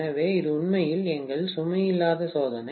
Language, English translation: Tamil, So, this is actually our no load test, right